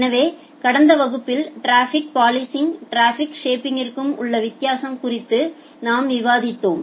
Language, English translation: Tamil, So, in the last class we were discussing about the difference between traffic policing and the traffic shaping